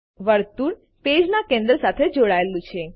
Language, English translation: Gujarati, The circle is aligned to the centre of the page